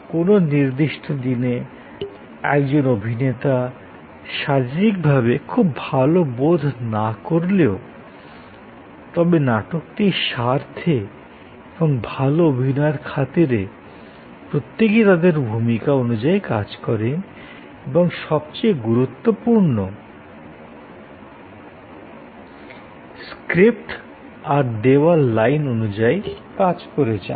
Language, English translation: Bengali, May be on a particular day, one actor is not feeling to well physically, but yet for the sake of the play and for the sake of good performance, every one acts according to their role and most importantly, according to the lines, the script given to them